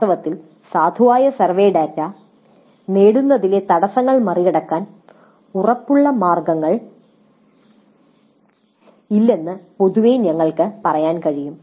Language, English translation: Malayalam, In fact, in general we can say there is no guaranteed way of overcoming the obstacles to getting valid survey data